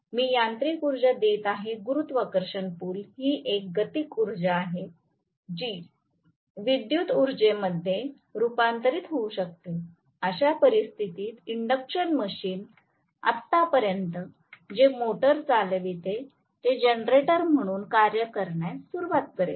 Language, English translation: Marathi, I am giving mechanical energy with the help of may be the gravitational pull, which is a kinetic energy that can be converted into electrical energy in which case the induction machine until now what was operating as a motor will start functioning as a generator